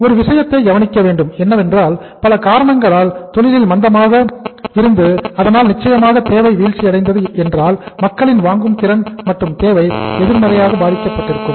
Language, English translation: Tamil, It it is at a point but because of certain reasons there was a industry recession so demand certainly fell down because of the negative impact upon the purchasing power of the people and then the demand was negatively affected